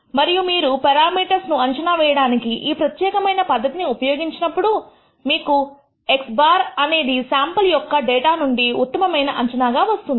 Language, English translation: Telugu, And if you set up this particular criterion for estimating parameters you will nd that x bar is the best estimate that you can get from the given sample of data